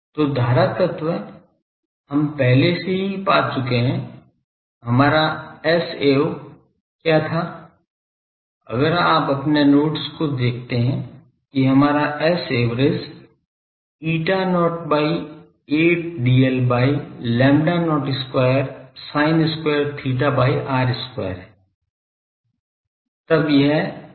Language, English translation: Hindi, So, current element we have already found what was our S a v if you see your notes that our S a v was eta not by 8 d l by lambda not square sin square theta by r square